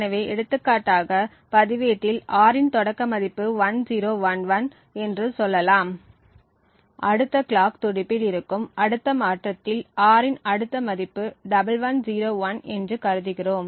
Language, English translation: Tamil, So, for example over here let us say that the initial value of R is 1011 and in the next clock pulse the register changes to the value of 1101